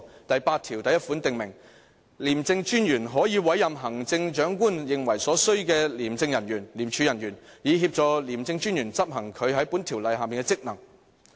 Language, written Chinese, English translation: Cantonese, "第81條訂明："廉政專員可委任行政長官認為所需的廉署人員，以協助廉政專員執行他在本條例下的職能。, Section 81 also provides that [t]he Commissioner may appoint such officers as the Chief Executive thinks necessary to assist the Commissioner in the performance of his functions under this Ordinance